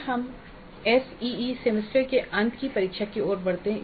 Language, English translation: Hindi, Then let us move on to the SEA semester and examination